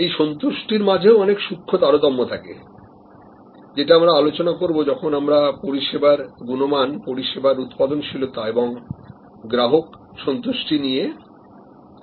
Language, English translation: Bengali, These are nuances of satisfaction we will discuss that when we discuss service quality, service productivity and customer satisfaction relationships